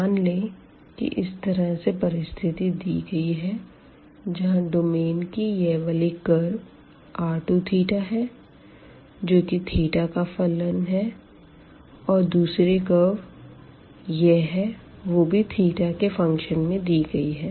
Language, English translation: Hindi, So, suppose we have situation here, the domain is bounded by this curve this is r 2 theta, it is a function of theta; and the another curve which is a function of theta here